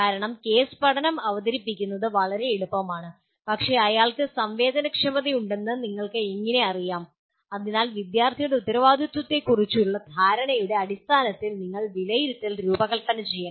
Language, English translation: Malayalam, Because it is easy to present the case study but how do you know that he has been sensitized, so you have to design assessment that could be in terms of student’s perception of his responsibility